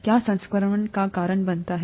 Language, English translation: Hindi, What causes infection